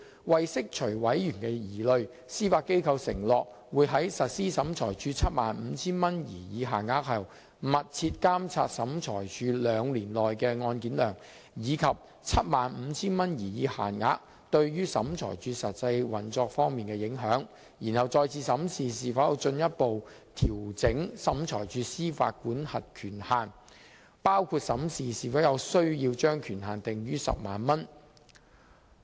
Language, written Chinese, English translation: Cantonese, 為釋除委員的疑慮，司法機構承諾會在實施審裁處 75,000 元擬議限額後，密切監察審裁處兩年內的案件量，以及 75,000 元擬議限額對審裁處實際運作方面的影響，然後再次審視是否有需要進一步調整審裁處的司法管轄權限，包括審視是否有需要把權限訂於 100,000 元。, To address members concern the Judiciary had undertaken to closely monitor the statistics on SCTs caseload and the actual operational impact on SCT for two years upon implementation of the proposed 75,000 limit and conduct a review thereafter on the need to further adjust SCTs jurisdictional limit including the scenario of setting the limit at 100,000